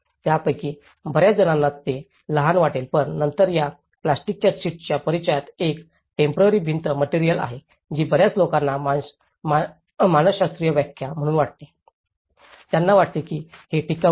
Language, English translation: Marathi, Many of them, they felt it was small but then, the introduction of this plastic sheeting has a temporary wall material that many people as a psychological interpretation, they felt it is not durable